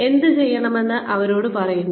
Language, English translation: Malayalam, We tell them, what to do